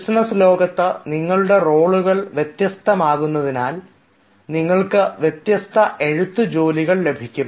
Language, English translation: Malayalam, since your roles in a business world will be different, you will come across different writing tasks